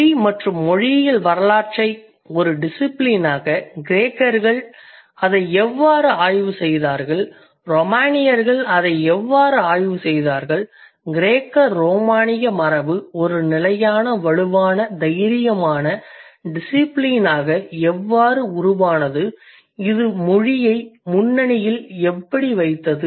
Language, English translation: Tamil, So I, we started the discussion with the history of language and linguistics as a discipline, how the Greek studied it, how the Roman studied it, how Greco Roman tradition evolved as a steady, strong, bold discipline which put language at the forefront